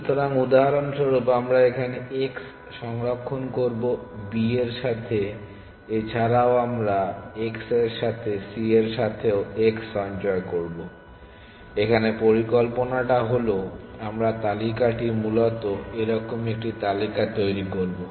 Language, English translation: Bengali, So, with a for example, we will store x here with b also we will store x with c also we will store x what is the idea the idea is it this list forms a kind of a list essentially